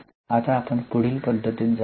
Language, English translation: Marathi, Now let us go to the next method